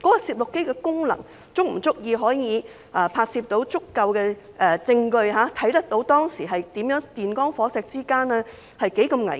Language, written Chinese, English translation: Cantonese, 攝錄機的功能，是否足以拍攝足夠的證據，顯示當時電光火石之間多麼危險？, Is the BWVC functional enough to record sufficient evidence showing how dangerous it is in the split second of the moment?